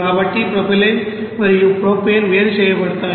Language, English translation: Telugu, So you know that propylene and propane will be separated